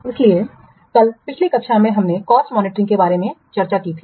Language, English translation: Hindi, So, yesterday in the last class we have discussed about cost monitoring